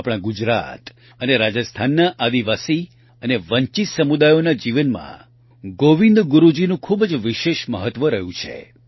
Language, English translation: Gujarati, Govind Guru Ji has had a very special significance in the lives of the tribal and deprived communities of Gujarat and Rajasthan